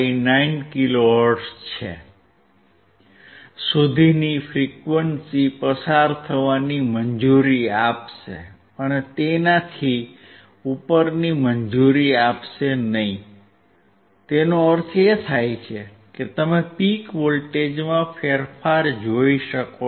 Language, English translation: Gujarati, 59 kilo hertz and above that it will not allow; that means, you can see the change in the peak voltage